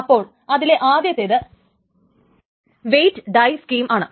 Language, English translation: Malayalam, So the first one is called a weight die scheme